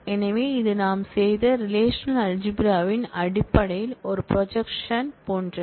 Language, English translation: Tamil, So, it is like a projection in terms of the relational algebra that we have done